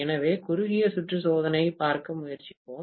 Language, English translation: Tamil, So, let us try to look at the short circuit test